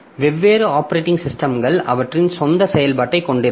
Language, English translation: Tamil, So, different operating systems they will have their own implementation